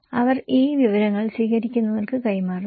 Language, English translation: Malayalam, Okay, they pass it to receivers these informations